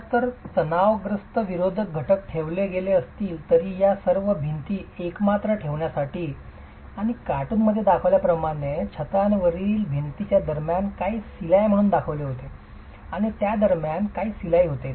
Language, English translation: Marathi, Now if tensile resisting elements were put in place, if ties were put in place to hold all these walls together and in the cartoon it is very nicely shown as some stitching that is happening between the roof and the walls and some stitching that is happening between the walls